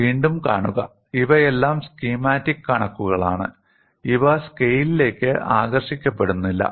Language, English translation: Malayalam, See again, these are all schematic figures; these are not drawn to scale